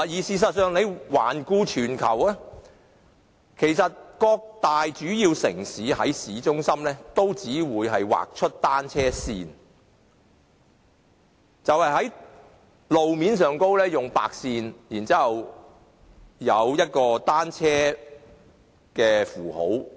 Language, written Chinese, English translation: Cantonese, 事實上，環顧全球，各大主要城市均只會在市中心劃出單車線，就是在路面劃上白線，然後加上一個單車符號。, As a matter of fact the big cities around the world will only designate cycle lanes downtown by drawing white lines on the roads and then adding a symbol for bicycles